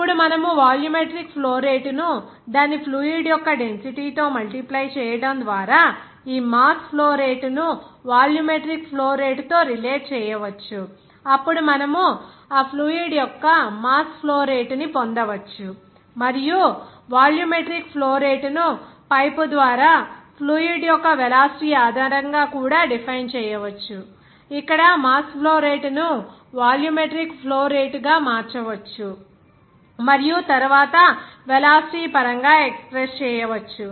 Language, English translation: Telugu, Now, you can relate this mass flow rate with this volumetric flow rate just by multiplying the volumetric flow rate by its density of the fluid; then you can get that mass flow rate of that fluid and volumetric flow rate can also be regarded or can also be defined based on the velocity of the fluid through the pipe, where mass flow rate also can be converted into volumetric flow rate and then in terms of velocity you can express